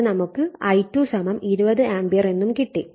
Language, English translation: Malayalam, So, from which you will get the I2 = 20 ampere